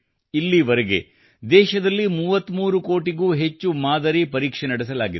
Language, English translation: Kannada, So far, more than 33 crore samples have been tested in the country